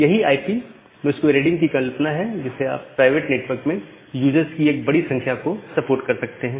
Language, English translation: Hindi, So, that is the concept of IP masquerading to which you can support again large number of users inside the private network